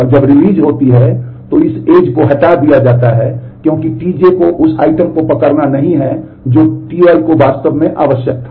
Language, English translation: Hindi, And when the release happens then this edge is removed because T j is no more holding the item that T i had actually required